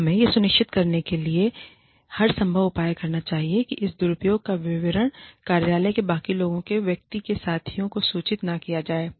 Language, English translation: Hindi, Then, we should take every possible measure to ensure, that the details of this misuse, are not communicated, to the rest of the office community, to the person's peers